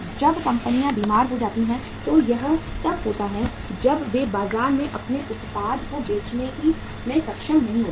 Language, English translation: Hindi, When the companies become sick it only happens when they are not able to sell their product in the market